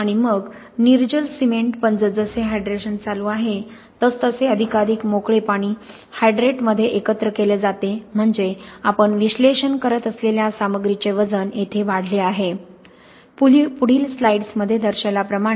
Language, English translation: Marathi, And then the anhydrous cement but as the hydration is going on, more and more of that free water is combined in the hydrate which means the analysis, the weight of stuff we are analyzing has increased here to here